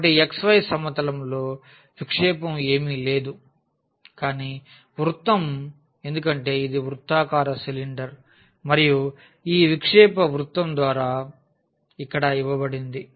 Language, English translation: Telugu, So, this projection on the xy plane is nothing, but the circle because it was a circular cylinder and the projection is given as here by this circle